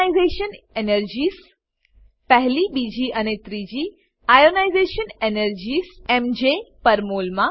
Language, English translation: Gujarati, Ionization energies, first, second and third Ionization energies in MJ per mol